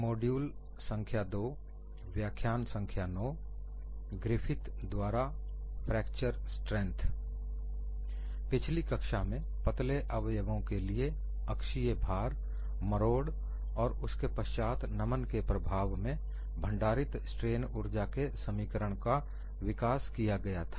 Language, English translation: Hindi, In the last class, we had developed the equations for strain energy stored in slender members subjected to axial load, torsion, then bending